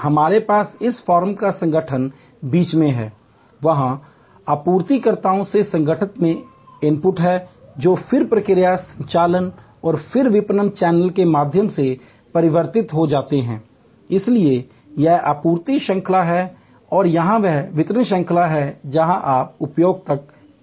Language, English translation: Hindi, So, we have this firm the organization in the middle, there are inputs from suppliers into the organization which are then converted through process, operations and then through the marketing channel, so this is the supply chain and this is the delivery chain you reach the consumer